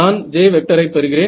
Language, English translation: Tamil, So, I do not know J